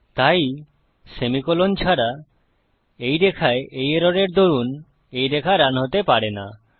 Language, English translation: Bengali, So because of this error on this line without the semicolon, this line cannot run